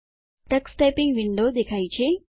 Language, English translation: Gujarati, The Tux Typing window appears